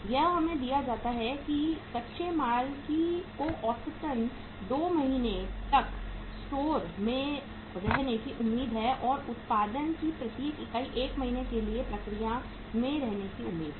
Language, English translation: Hindi, It is given to us is that raw material expected to remain in store on an average for a period of 2 months and each unit of production is expected to be in process for 1 month right